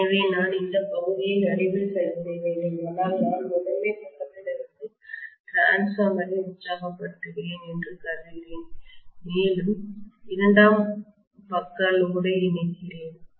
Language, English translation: Tamil, So I have to fix this portion in the middle, but I am assuming that I am exciting the transformer from the primary side and I am connecting the load on the secondary side